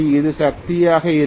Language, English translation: Tamil, This will be the power, right